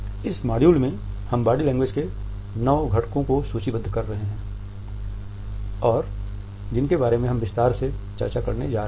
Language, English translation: Hindi, In this module I am listing 9 components of body language, which we are going to discuss in detail later on